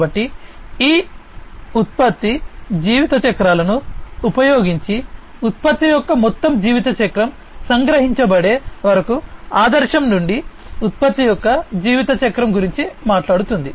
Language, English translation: Telugu, So, it talks about the lifecycle of a product from ideation till deployment the entire lifecycle of a product is captured using these product life cycles